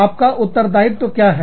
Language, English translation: Hindi, What is your liability